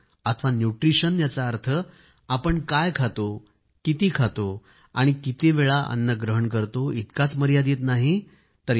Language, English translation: Marathi, And nutrition merely does not only imply what you eat but also how much you eat and how often you eat